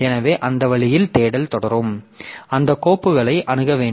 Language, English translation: Tamil, So, that way the search will proceed and this directory is again a file only